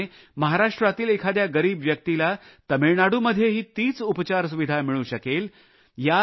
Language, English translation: Marathi, Similarly, if a deprived person from Maharashtra is in need of medical treatment then he would get the same treatment facility in Tamil Nadu